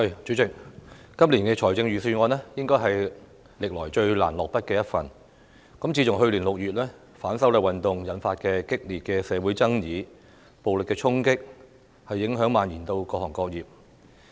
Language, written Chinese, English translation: Cantonese, 主席，今年財政預算案應該是歷來最難下筆的一份，自去年6月的反修例運動引發激烈的社會爭議和暴力衝擊，影響已蔓延至各行各業。, President the drafting of this years Budget should be the most difficult over the years . Heated social controversies and violent incidents triggered by the movement of opposition to the proposed legislative amendments since June last year have impacted various sectors and industries